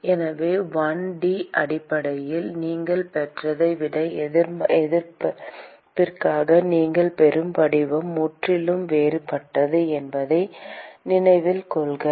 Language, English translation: Tamil, So, note that the form that you get for the resistance is quite different than from what you got in a 1 D system